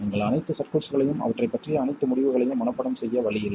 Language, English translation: Tamil, There is no way you can memorize all the circuits and all the results pertaining to them